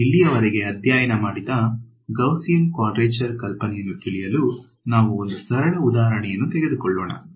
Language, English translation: Kannada, To drive home the idea of Gaussian quadrature that we have studied so, far what we will do is we will take a simple example